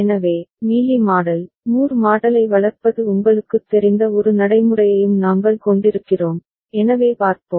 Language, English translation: Tamil, So, we shall also have a practice of you know, developing Mealy model, Moore model, so let us see